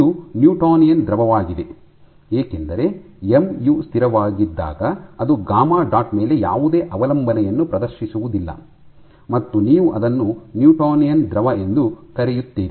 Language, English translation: Kannada, So, this is a newtonian fluid because mu when mu is constant it does not exhibit any dependence on gamma dot you call an newtonian fluid